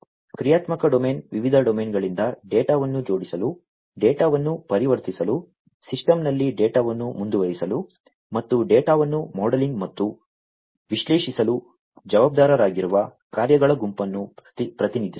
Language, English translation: Kannada, Functional domain represents the set of functions that are responsible for assembling the data from the various domains, transforming the data, persisting the data in the system and modelling and analyzing the data